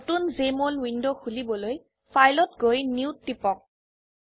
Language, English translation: Assamese, Open a new Jmol window by clicking on File and New